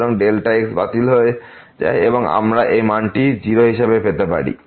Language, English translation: Bengali, So, here this gets cancelled and you will get this value as 3